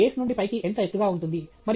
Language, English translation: Telugu, How tall is it going from base to top